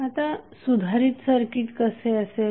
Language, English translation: Marathi, So, what would be the updated circuit